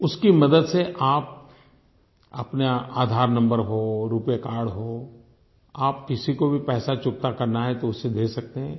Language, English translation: Hindi, With the help of that, be it your Aadhar number or your RuPay card, if you have to pay money to someone, you can do it through that